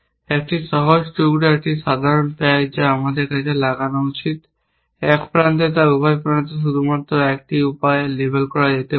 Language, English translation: Bengali, The one simple piece, the one simple pack we should exploit is at one edge can be labeled only in one way at both the end